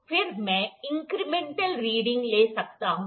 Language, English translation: Hindi, Then I can take the incremental readings